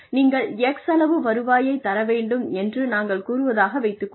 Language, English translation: Tamil, We could say, you should bring in X amount of revenue